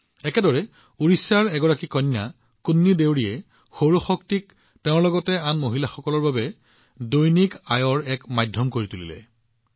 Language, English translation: Assamese, Similarly, KunniDeori, a daughter from Odisha, is making solar energy a medium of employment for her as well as for other women